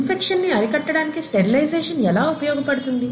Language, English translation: Telugu, And how does sterilization help in preventing infection